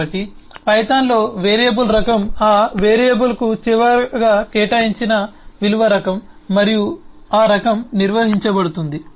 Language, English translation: Telugu, so the type of a variable in python is the type of the value that was last assigned to that variable and that type is maintained